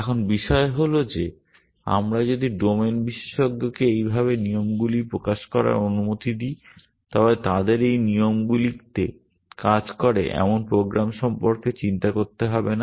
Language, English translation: Bengali, Now, the thing is that if we allow the domain expert to express rules like this then they do not have to worry about program which works on this rules